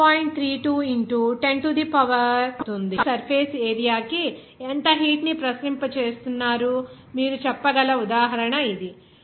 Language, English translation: Telugu, So, this is the example based on which you can say that how much heat is being radiated per unit surface area of the sun